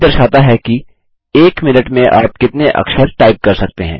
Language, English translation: Hindi, Speed indicates the number of characters that you can type per minute